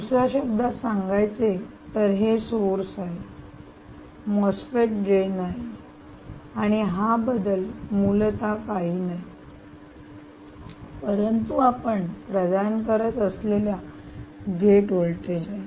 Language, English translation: Marathi, in other words, this is nothing but the source, this is nothing but the drain um of a mosfet, and this change, essentially, is nothing but the gate voltage that you are providing